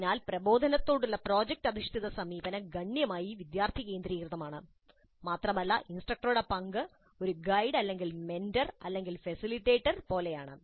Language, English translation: Malayalam, So project based approach to instruction is substantially student centric and the role of instructor is more like a guide, mentor or facilitator, essentially